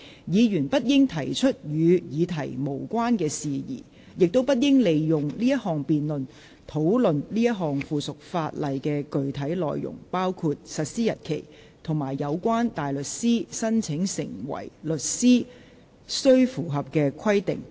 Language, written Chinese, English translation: Cantonese, 議員不應提出與議題無關的事宜，亦不應利用這項辯論，討論這項附屬法例的具體內容，包括實施日期及有關大律師申請成為律師須符合的規定。, Members should not introduce matter irrelevant to the subject or use this debate to discuss the specific contents of the subsidiary legislation including the date of its coming into operation and the requirements that a barrister applying to be a solicitor must meet